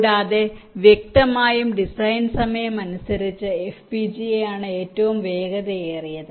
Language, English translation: Malayalam, and obviously design time wise, fpgas is the fastest